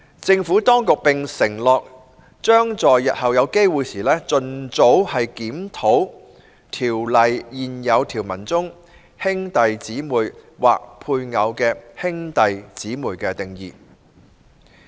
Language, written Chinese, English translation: Cantonese, 政府當局並承諾，將在日後有機會時，盡早檢討《條例》現有條文中"兄弟姊妹或配偶的兄弟姊妹"的定義。, The Administration also undertook to review the definition of brother or sister or brother or sister of the spouse in the existing provisions of the Ordinance at the earliest opportunity